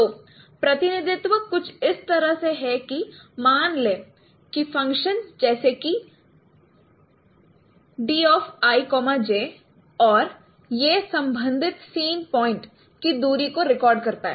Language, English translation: Hindi, So the representation is something like this that say consider this function say D IJ and it records the distance of the corresponding scene point